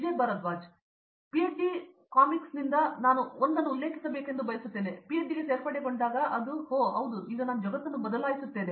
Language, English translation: Kannada, I would like to quote one of one from PhD comics, when I joined for PhD it was like – Oh yeah I will change the world now